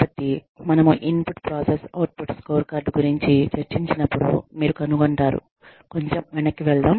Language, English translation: Telugu, So, when we discuss IPO, input process output scorecard, you will find out, let us just go back, a little bit